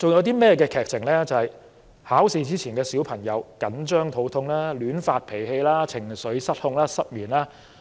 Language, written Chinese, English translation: Cantonese, 便是考試前小朋友緊張得肚痛、亂發脾氣、情緒失控和失眠的情況。, There are other interesting scenes in the musical such as children having stomach ache losing their temper getting out of control and insomnia before examinations